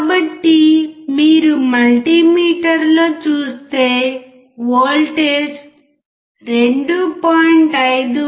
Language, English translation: Telugu, So, if you see in the multimeter you can see the voltage is about 2